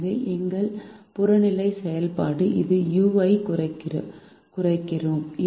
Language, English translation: Tamil, so we minimize a u, which is our objective function